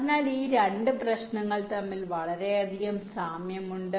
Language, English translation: Malayalam, so there is a very similarity between these two problems